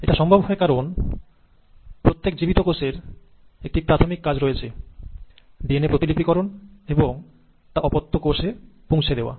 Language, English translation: Bengali, Now this is possible because every living cell has one basic function to do, and that is to replicate its DNA and then pass it on to the daughter cells